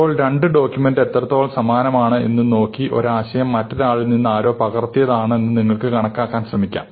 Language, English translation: Malayalam, So, by looking at how similar, if you can measure how similar two documents are, you can try to quantify this notion that somebody has copied from somebody else